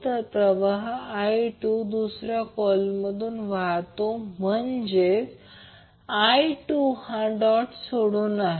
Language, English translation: Marathi, So the current is flowing I 2 is flowing in the second coil that means that I2 is leaving the dot